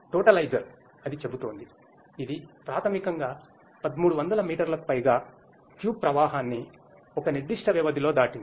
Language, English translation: Telugu, But the totalizer is saying that it is, it has been basically over 1300 meter cube flow has been passed through in a given span of time